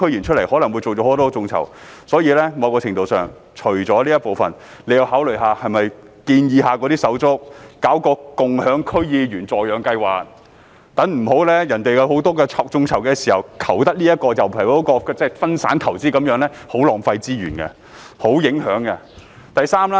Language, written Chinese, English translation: Cantonese, 除了這一部分，在某程度上，政府亦要考慮是否建議那些手足搞一個共享區議員助養計劃，不要待人家進行很多眾籌時，求得這人卻得不了那人，分散投資是很浪費資源的，而且影響很大。, Apart from this the Government also needs to consider among others suggesting those brothers to organize a co - sponsor DC members scheme so that it will not be left in a position of not knowing who to turn to in a plethora of crowdfunding activities . Diversified investments would give rise to a waste of resources and considerable implications